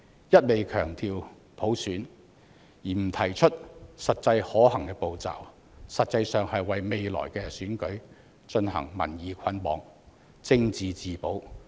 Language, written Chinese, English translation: Cantonese, 一味強調普選，而不提出實際可行步驟，實質上是為未來的選舉進行民意捆綁，政治自保。, By solely advocating universal suffrage without proposing feasible initiatives these Members are actually bundling public opinion for future elections and seeking their own political salvation